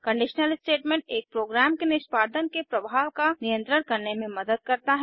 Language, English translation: Hindi, A conditiona statement helps to control the flow of execution of a program